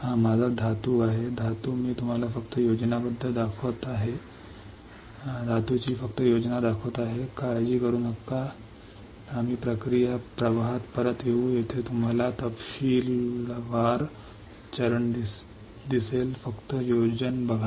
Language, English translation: Marathi, This is my metal; metal I am just showing you the schematic do not worry we will we will come back to the process flow where you will see step in detail just look at the schematic